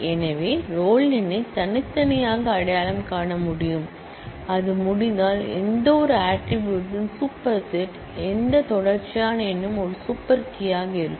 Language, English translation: Tamil, So, roll number can uniquely identify, if it can then any super set of attributes, which continual number will also be a super key